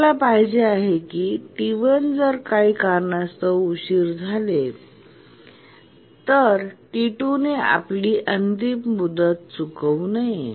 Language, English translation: Marathi, So, we want that even if T1 gets delayed due to some reason, T2 should not miss its deadline